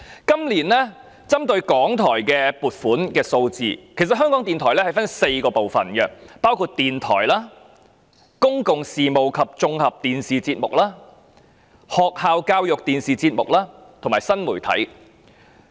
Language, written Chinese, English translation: Cantonese, 今年有關港台的撥款數字可分為4部分：電台、公共事務及綜合電視節目、學校教育電視節目及新媒體。, The provision for RTHK this year can be divided into four parts radio public affairs and general television programme school education television programme and new media